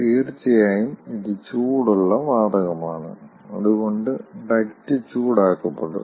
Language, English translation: Malayalam, in practice, of course, this is hot gas and the duct wall will be heated up